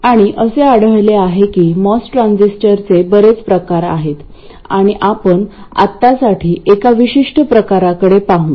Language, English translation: Marathi, And it turns out that there are many varieties of MOS transistor and we will look at one particular variety for now